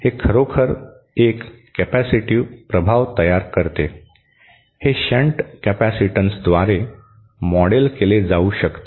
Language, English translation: Marathi, This actually produces a capacitive effect, it can be modelled by shunt capacitance